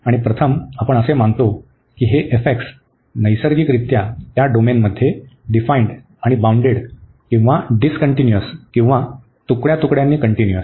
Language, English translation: Marathi, And first we assume that this f x naturally is as defined and bounded or discontinuous or piecewise continuous in this domain